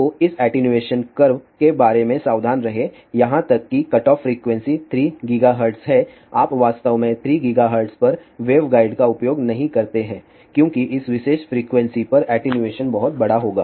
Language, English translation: Hindi, So, be careful about this attenuation curved even the cutoff frequency is 3 gigahertz you do not really use the waveguide at 3 gigahertz because attenuation will be very large at this particular frequency